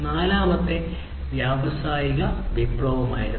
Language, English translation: Malayalam, And this is this fourth industrial revolution or the Industry 4